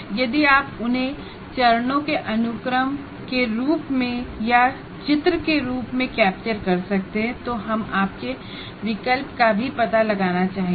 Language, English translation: Hindi, If you can capture them as a sequence of steps or in the form of a diagram, we would like to kind of explore your option as well